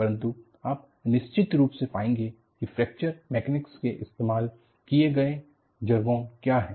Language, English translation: Hindi, But, you will definitely come across, what is a jargon used in Fracture Mechanics